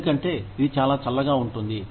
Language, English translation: Telugu, Because, it is so cold